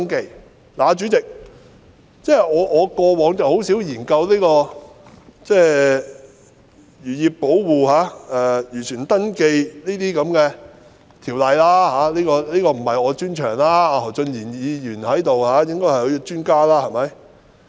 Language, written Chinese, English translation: Cantonese, 代理主席，我過往很少研究有關漁業保護或漁船登記的條例，這不是我的專長，何俊賢議員在席，他才是專家。, Deputy President seldom do I study ordinances relating to the protection of the fisheries industry or registration of fishing vessels as these areas are not my specialty whereas Mr Steven HO who is in the Chamber now is an expert